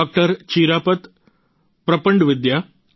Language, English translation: Gujarati, Chirapat Prapandavidya and Dr